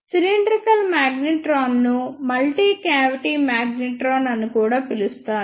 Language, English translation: Telugu, The cylindrical magnetron is also called as multi cavity magnetron